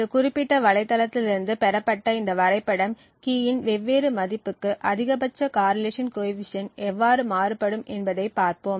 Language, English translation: Tamil, This graph for example which is obtained from this particular website shows how the maximum correlation coefficient varies with different values of key